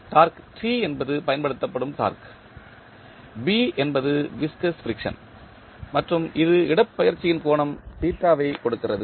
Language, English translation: Tamil, Torque T is the applied torque, B is viscous friction and it is giving the displacement of angle theta